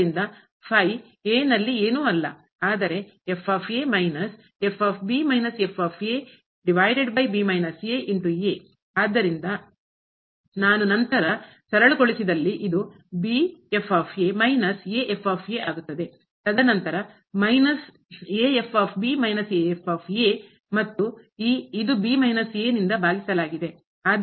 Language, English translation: Kannada, So, this if I simplify then and this will become minus and then minus and minus a and divided by this minus